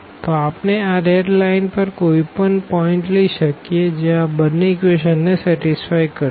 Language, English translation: Gujarati, So, we can take a point here on the line and that will satisfy both the equations